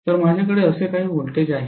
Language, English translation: Marathi, So I am going to have some voltage like this right